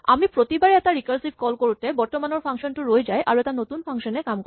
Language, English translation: Assamese, At each time we make a recursive call, the current function is suspended and a new function is started